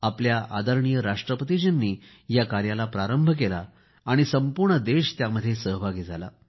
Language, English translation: Marathi, Our Honourable President inaugurated this programme and the country got connected